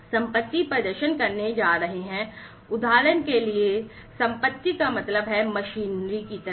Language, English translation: Hindi, The assets are going to perform, you know, the for example assets means like machinery etcetera